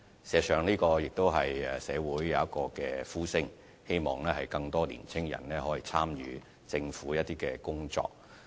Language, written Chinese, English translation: Cantonese, 事實上，社會上亦有呼聲，希望更多年青人可以參與一些政府工作。, In fact there are also calls in society voicing the hope for more young people to participate in some work of the Government